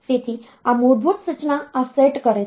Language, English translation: Gujarati, So, this basic instruction set this